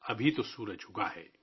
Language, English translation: Urdu, Well, the sun has just risen